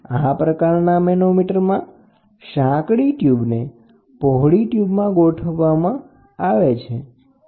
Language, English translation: Gujarati, In this type of manometer a narrow tube is directly inserted into a wide tube